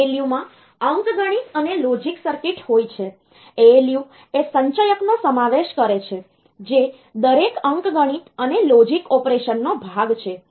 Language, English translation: Gujarati, So, the ALU so, they in addition to arithmetic and logic circuits the ALU includes the accumulator which is part of every arithmetic and logic operation